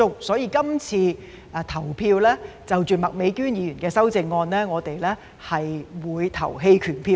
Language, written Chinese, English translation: Cantonese, 所以，今次對於麥美娟議員的修正案，我們會投棄權票。, Therefore we will abstain from voting on Ms Alice MAKs amendment this time which does not mean that we do not support the direction proposed by her